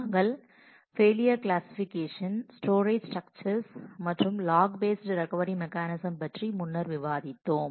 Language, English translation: Tamil, We have earlier discussed about failure classification, storage structures and significantly the log based recovery mechanism